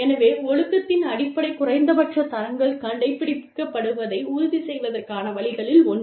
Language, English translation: Tamil, So, one of the ways in ensuring, that the basic minimum standards of discipline, are adhered to